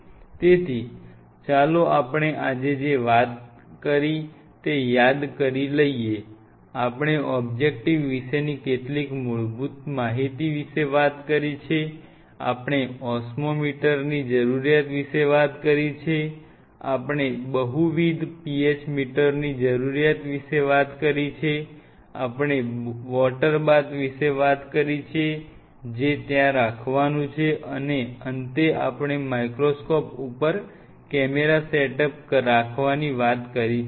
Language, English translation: Gujarati, So, let us recollect what all we have talked today we have talked about the some of the fundamental information about the objectives, we have talked about the need for an Osmometer, we have talked about the need for multiple PH meters, we have talked about water baths which has to be kept there and in the end we talked about to have a camera setup along with the basic set up of the microscope